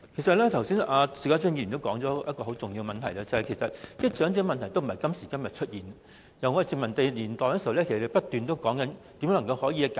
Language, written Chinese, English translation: Cantonese, 邵家臻議員剛才提到一個很重要的問題，其實長者問題不是今時今日才出現，這個問題在殖民地年代已受到重視，很多人不斷研究如何解決。, Mr SHIU Ka - chun just mentioned a very important point . In fact the elderly problems do not suddenly appear today but were already taken seriously during the colonial era and many people have been studying how to resolve them